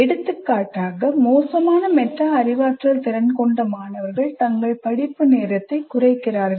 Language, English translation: Tamil, For example, students with poor metacognition skills, that poor metacognition reflects in shortening their study time prematurely